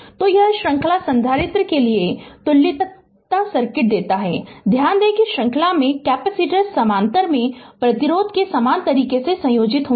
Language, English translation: Hindi, So, it gives the equivalence circuit for the series capacitor, note that capacitors in series combine in the same manner of resistance in parallel